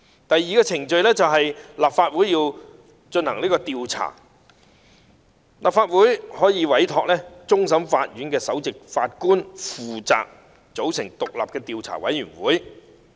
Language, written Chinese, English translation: Cantonese, 第二，經立法會通過進行調查，立法會可委托終審法院首席法官負責組成獨立的調查委員會。, Second after the Council has resolved to conduct an investigation the Council may give a mandate to the Chief Justice of the Court of Final Appeal to assume the responsibility of forming an independent investigation committee